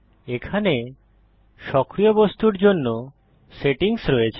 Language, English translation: Bengali, Here are the settings for the active object